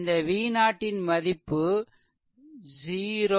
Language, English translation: Tamil, Then i will be 0